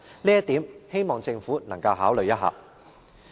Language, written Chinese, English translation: Cantonese, 這一點，希望政府能夠予以考慮。, I hope the Government can consider this point